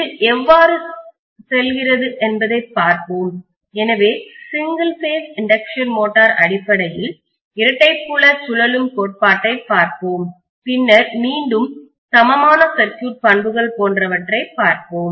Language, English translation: Tamil, Let’s see how it goes, so single phase induction motor we will be looking at basically double field revolving theory and then we will be looking at again equivalent circuit characteristics, etc